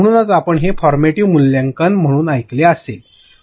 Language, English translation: Marathi, So, this is what you must have heard as formative assessments